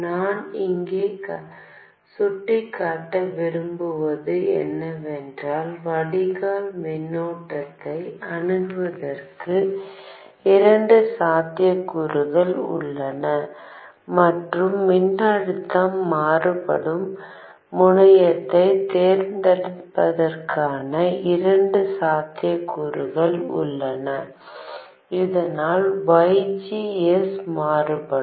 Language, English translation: Tamil, What I want to point out here is that there are two possibilities for accessing the drain current and two possibilities for choosing the terminal at which to vary the voltage so that VGS is varied